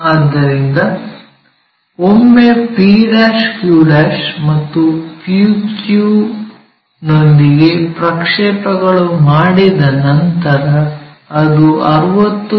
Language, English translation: Kannada, So, once we are done with p' q' and p q which is also 60, the projected ones